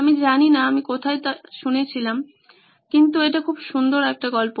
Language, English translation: Bengali, I don’t know where I heard it but it’s a beautiful story